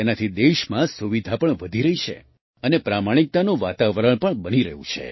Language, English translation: Gujarati, Due to this, convenience is also increasing in the country and an atmosphere of honesty is also being created